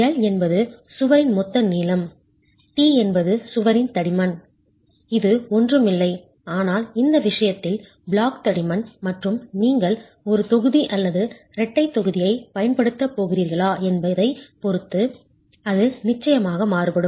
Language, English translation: Tamil, L is the total length of the wall, T is the thickness of the wall which is nothing but the block thickness in this case and depending on whether you are going to be using a single block or a double block then that of course varies